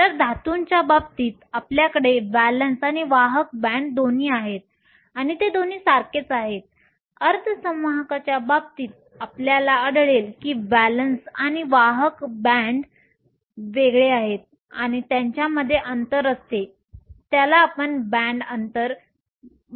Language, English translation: Marathi, So, in case of metals you have both valence and a conduction band and they are both the same, in the case of semiconductors you will find that the valence and the conduction band are different and, there is a gap between them this is what we called the band gap